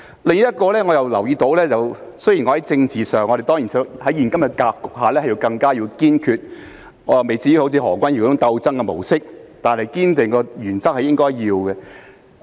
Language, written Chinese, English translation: Cantonese, 另一點我也留意到，雖然我在政治上......當然在現今的格局下應該要更堅決，我未至於像何君堯議員所說般採取"鬥爭的模式"，但堅守原則是應該的。, Another point I have noticed is that although politically of course I should be more resolute in the current situation; I have not yet gone so far as to enter the combat mode as Dr Junius HO said but adhering to principles is the right thing to do